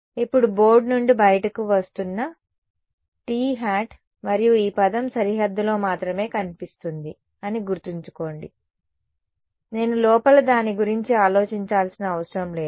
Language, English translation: Telugu, Coming out of the board now t hat and remember this term is only appearing on the boundary I do not have to think about it on the inside